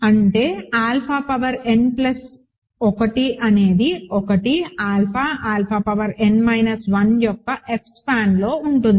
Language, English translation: Telugu, So that means, alpha power n plus 1 is in F span of 1, alpha, alpha power n minus 1